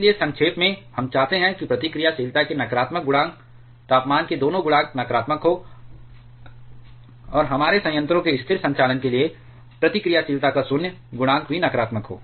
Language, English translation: Hindi, So, in a nutshell, we want both temperature coefficient of negativity temperature coefficient of reactivity to be negative, and void coefficient of reactivity also to be negative for stable operation of our reactor